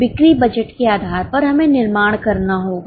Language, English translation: Hindi, Depending on the sale budget, we need to manufacture